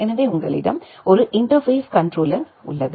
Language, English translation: Tamil, So, you have a interface controller there